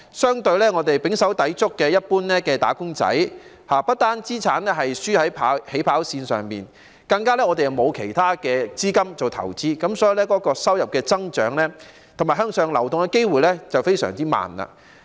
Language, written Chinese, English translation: Cantonese, 相反，胼手胝足的一般"打工仔"，不但資產"輸在起跑線"上，更加沒有其他資金做投資，所以收入增長及向上流動的機會非常慢。, In contrast ordinary wage earners who have worked their fingers to the bone are simply losers at the starting line in terms of assets let alone in terms of extra money for investment . Therefore their income growth and upward mobility are very slow